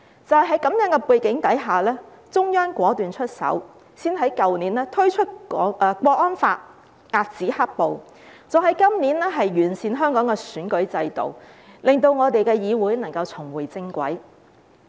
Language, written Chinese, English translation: Cantonese, 在這樣的背景下，中央果斷出手，先在去年推出《香港國安法》，遏止"黑暴"，再在今年完善香港的選舉制度，令我們的議會能夠重回正軌。, Against this backdrop the Central Authorities took decisive action by first introducing the Hong Kong National Security Law last year to curb black - clad violence and then improving the electoral system in Hong Kong this year to put our legislature back on the right track